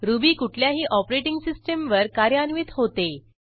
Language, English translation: Marathi, Ruby program runs in any operating system